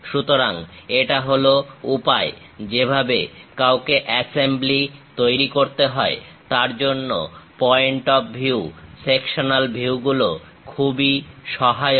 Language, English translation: Bengali, So, this is the way one has to make assembly; for that point of view the sectional views are very helpful